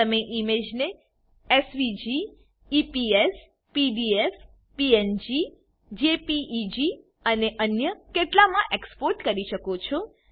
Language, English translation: Gujarati, You can export the image as SVG, EPS, PDF, PNG, JPEG and a few others